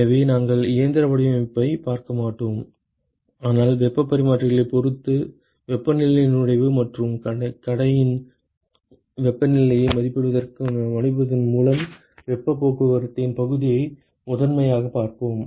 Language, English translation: Tamil, So, we will not look at the mechanical design, but we will primarily look at the area of heat transport, estimating the temperatures – inlet and outlet temperatures, depending upon the heat exchangers